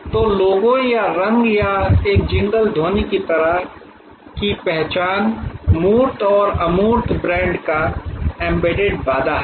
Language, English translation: Hindi, So, identifies like logo or colour or a jingle sound are tangibles and intangibles are the embedded promise of the brand